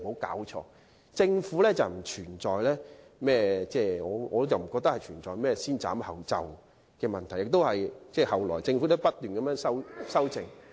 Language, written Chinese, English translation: Cantonese, 因此，政府根本不存在"先斬後奏"的問題，而到了後期更不斷作出修正。, Hence there is no question of the Government taking action first reporting later and a number of revisions have been made at a later stage